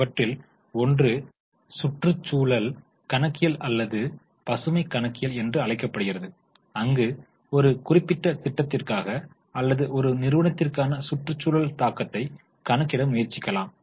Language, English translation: Tamil, One of them is environmental accounting or green accounting as it is known as where we try to measure the environmental impact for a particular project or for a company